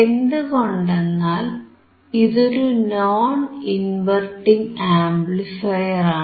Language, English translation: Malayalam, Because this is non inverting amplifier